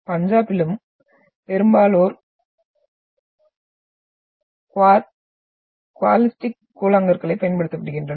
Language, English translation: Tamil, And in Punjab and all that, most of they are using the quartzitic pebbles